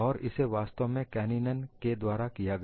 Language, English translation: Hindi, And this was actually done by Kanninen